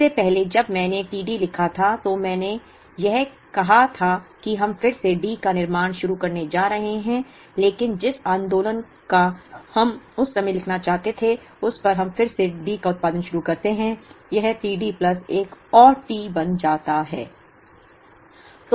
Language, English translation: Hindi, Earlier when I wrote t D, I was trying to say that we are going to start producing D again, but the movement we want to write the time at which we start producing D again, it becomes t D plus another T